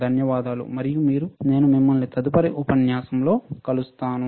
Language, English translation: Telugu, Thank you and I will see you next model